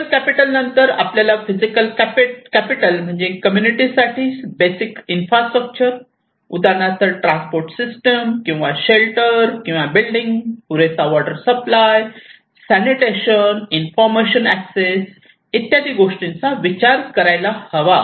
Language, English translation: Marathi, And then after social capital, we have physical capital like basic infrastructures and basically it is the infrastructure of a community like a transport system or shelter or buildings, adequate water supply, sanitation, access to information